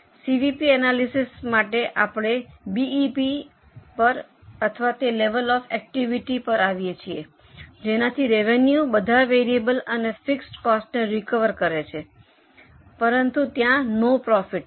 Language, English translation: Gujarati, Now from CVP analysis we come to BP or that level of activity at which revenues recover all variable and fixed costs but there is no profit